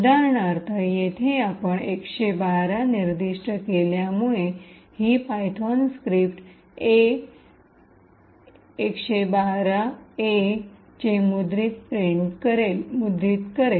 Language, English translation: Marathi, For example, over here since we have specified 112, so this particular python script would print A, 112 A’s